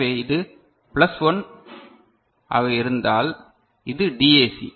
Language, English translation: Tamil, So, if it is plus 1 so, this is the DAC